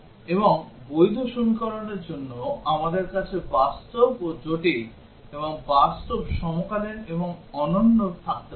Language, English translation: Bengali, And for valid equations, we might have we have real and complex and real the coincident and unique